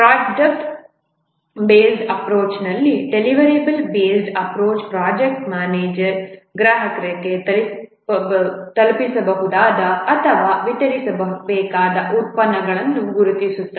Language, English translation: Kannada, In the product based approach, a deliverable based approach, the project manager identifies what are the deliverables or the products to be delivered to the customer